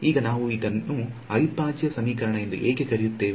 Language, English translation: Kannada, Now why do we call it an integral equation